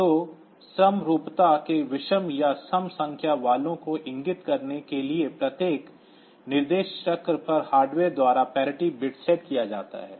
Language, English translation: Hindi, So, that is set or clear by hardware each instruction cycle to indicate odd even number of ones in the accumulator